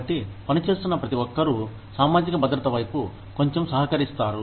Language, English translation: Telugu, So, everybody, who is working, contributes a little bit towards, the social security